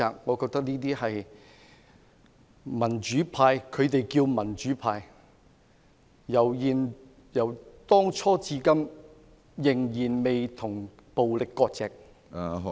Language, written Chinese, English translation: Cantonese, 我認為這些民主派——他們自稱為民主派——由當初至今仍未與暴力割席......, I think the pro - democracy camp―they claim themselves the pro - democracy camp―has hitherto not severed ties with violence